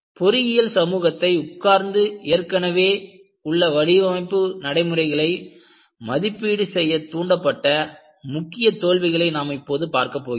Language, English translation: Tamil, Now, we are going to look at the key failures that triggered the engineering community to sit back and evaluate the existing design procedures are listed